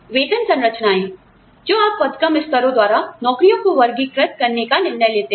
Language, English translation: Hindi, The pay structures, that you decide to classify jobs, by grade levels